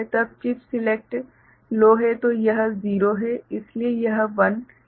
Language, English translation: Hindi, when chip select is low, then this is 0 so, this is 1 ok